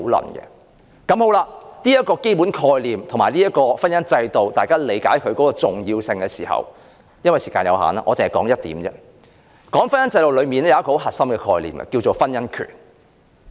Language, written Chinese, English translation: Cantonese, 當大家皆理解這個基本概念及婚姻制度的重要性時，由於時間所限，我只談一點，便是婚姻制度的核心概念——婚姻權。, So Members should now grasp this basic concept and the significance of the marriage institution . Owing to the time constraint I will discuss only one point the core concept of the marriage institution―the right to marry